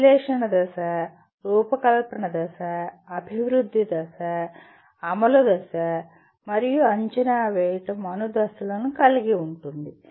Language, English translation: Telugu, A analysis phase, design phase, development phase, implement phase, and evaluate phase